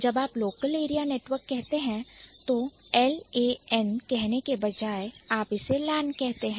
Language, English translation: Hindi, So, when you say local area network, instead of saying L A N, we call it LAN